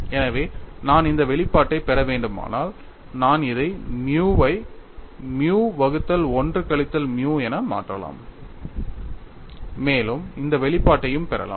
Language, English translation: Tamil, So, if I have to get this expression, I can simply substituted nu as nu by 1 minus nu in this and get this expression also